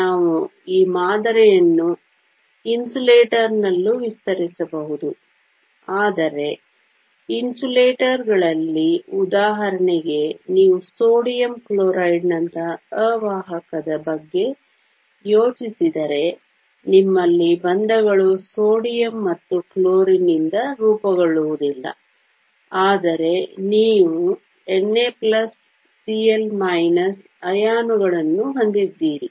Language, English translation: Kannada, We can extend this model in the case of insulator as well, but in insulators for example, if you think of an insulator like sodium chloride, you have bonds being formed not by sodium and chlorine, but you have Na plus Cl minus ions